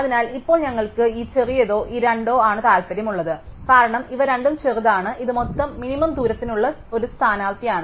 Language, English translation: Malayalam, So, now we are interested in this smaller or these two, because the smaller are these two is a candidate for the overall minimum distance